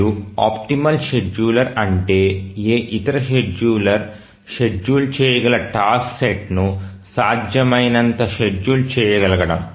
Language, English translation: Telugu, And an optimal scheduler is one which can feasibly schedule a task set which any other scheduler can schedule